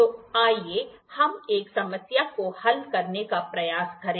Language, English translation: Hindi, So, let us try to solve a problem